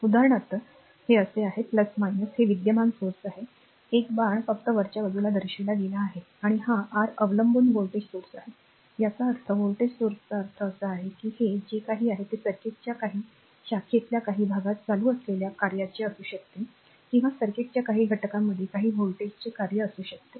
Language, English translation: Marathi, So, for example, this is plus minus this is dependent current source right an arrow is shown upward here right just for the purpose of example and this is your dependent voltage source; that means, dependent voltage source means this voltage whatever it is it may be function of current in the some part of the your some branch of the circuit or may be a function of some voltage across some elements of the circuit